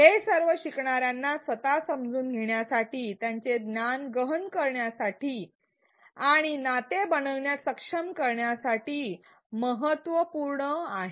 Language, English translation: Marathi, All these are important for the learner to be able to construct their own understanding, to deepen their knowledge and to make connections